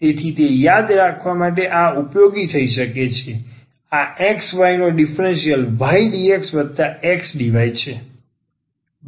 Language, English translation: Gujarati, So, that could be useful to remember that the differential of this xy is nothing, but y dx plus xdy